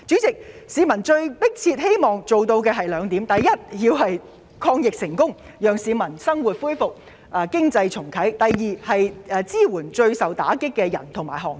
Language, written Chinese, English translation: Cantonese, 市民迫切希望政府做到兩件事：第一，抗疫成功，讓市民生活回復正常，重啟經濟；第二，支援最受打擊的市民和行業。, The public desperately want the Government to do two things first to succeed in the fight against the epidemic so that they can resume their normal lives and restart the economy; second to support the hardest - hit people and industries